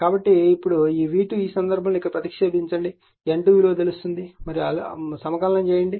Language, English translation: Telugu, So now, in this case v 2 you substitute here N 2 is known and you have to integrate